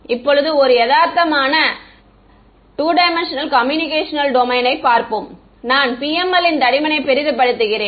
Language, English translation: Tamil, Now let us look at a realistic 2D computational domain, I am exaggerating the PML thickness